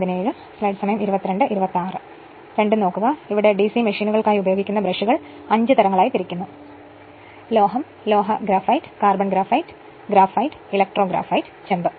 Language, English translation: Malayalam, So, the brushes the brushes used for DC machines are divided into 5 classes; metal, metal graphite, carbon graphite, graphite, electro graphite, and copper right